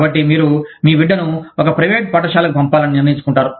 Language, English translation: Telugu, So, you decide to send your child, to a private school